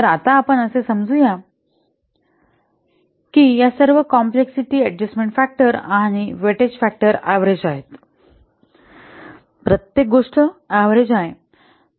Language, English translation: Marathi, So, now let's assume that all the complexity adjustment factors and weighting factors they are average